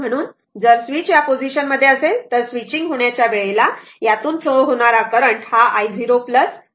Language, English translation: Marathi, So, if switch is in position if switch is in position this one, at the just at the time of switching the current flowing through this is i 0 plus right